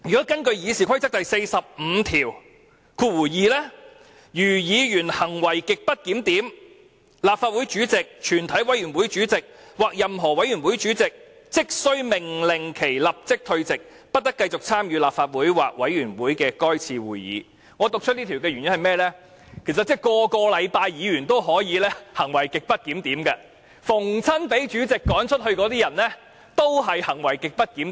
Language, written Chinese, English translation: Cantonese, 根據《議事規則》第452條，"如議員行為極不檢點，立法會主席、全體委員會主席或任何委員會主席即須命令其立即退席，不得繼續參與立法會或委員會的該次會議"，我讀出這項條文的原因是，其實每星期也可以發生議員行為極不檢點的事件，每個被主席趕走的人均是行為極不檢點。, According to RoP 452 The President the Chairman of a committee of the whole Council or the chairman of any committee shall order a Member whose conduct is grossly disorderly to withdraw immediately from the Council or the committee for the remainder of that meeting . The reason why I read out this rule is that grossly disorderly conduct of Members may actually take place every week . Everyone ordered by the President to leave had grossly disorderly conduct